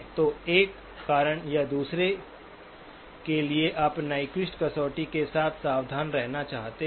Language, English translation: Hindi, So for one reason or the other, you would want to be careful with the Nyquist criterion